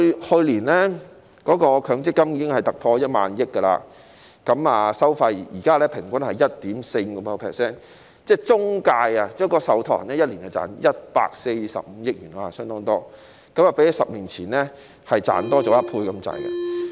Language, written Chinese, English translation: Cantonese, 去年，強積金總資產已突破1萬億元，現在的收費平均是 1.45%， 即中介、受託人每年賺取145億元，相當多，較10年前所賺取的增加接近1倍。, Last year the total assets of MPF exceeded 1,000 billion and at present the fees are 1.45 % on average which means that intermediaries and trustees are earning 14.5 billion a year which is quite a huge sum and nearly double the amount earned 10 years ago